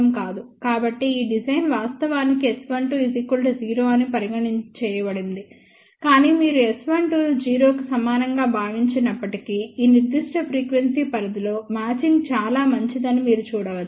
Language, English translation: Telugu, So, this design is actually done assuming S 12 equal to 0, but you can see that even if you assume S 12 equal to 0, matching is very good over this particular frequency range